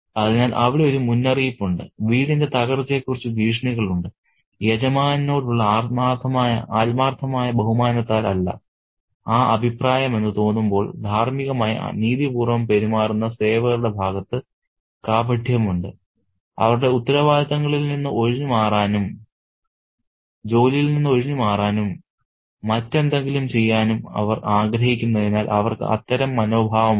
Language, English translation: Malayalam, So, there is foreboding, there are threats about the fall of the house and there is hypocrisy on the part of the servants who behave in a morally righteous manner when they don't seem to have that opinion out of genuine regard for the master and they do that kind of, they do have that kind of attitude because they want to get away from their responsibilities, they want to shirk work and do something else